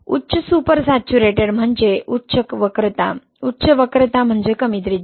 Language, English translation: Marathi, High super saturation means higher curvature, higher curvature means lower radii, right